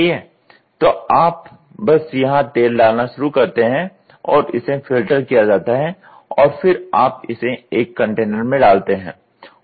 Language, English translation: Hindi, So, you just start pouring oil here and it gets filtered and then you put it in a container